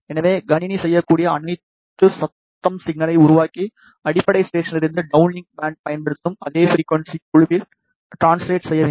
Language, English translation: Tamil, So, all the system needs to do is to create a noise signal and translate it in the same frequency band as used by the downlink band of the base station